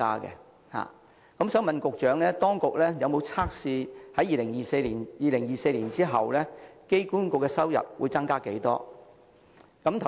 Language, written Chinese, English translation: Cantonese, 我想問局長，當局有否預測2024年後機管局的收入會增加多少？, I would like to ask the Secretary whether there is an estimation of the growth in AAs revenue after 2024